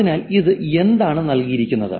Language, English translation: Malayalam, So, what is given